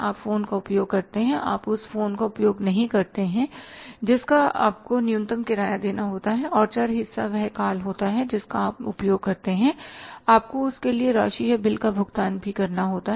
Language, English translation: Hindi, You use the phone you don't use the phone you have to pay the minimum rent and the variable part is the calls which you make use of and you have to pay the amount or the bill for that also